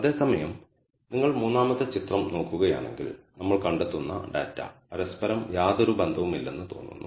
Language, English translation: Malayalam, Whereas, if you look at the third figure the data that we find seems to be having no bearing on each other